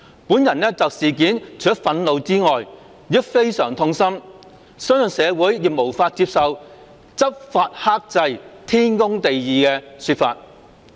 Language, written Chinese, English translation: Cantonese, 本人就事件除了憤怒外，亦非常痛心，相信社會亦無法接受'執法克制，天公地義'的說法。, As for me apart from feeling indignant I am also saddened . I believe that society cannot accept the saying that the Police were restraint in law enforcement and their acts were perfectly justified